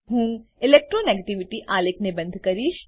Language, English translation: Gujarati, I will close the Electro negativity chart